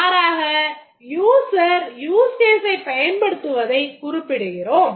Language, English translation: Tamil, We just indicate here that the user uses the use case